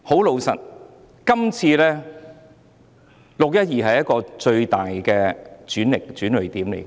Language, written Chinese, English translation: Cantonese, 老實說，"六一二"事件是最大的轉捩點。, To be honest the 12 June incident was the greatest turning point